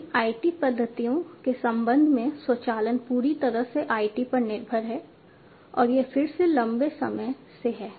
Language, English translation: Hindi, With respect to now these IT methodologies, automation is solely dependent on IT and this has been there again since long